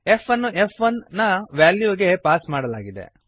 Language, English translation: Kannada, f is passed to the value of f1